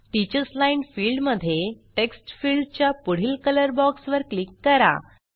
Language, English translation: Marathi, In the Teachers line field, click on the color box next to the Text field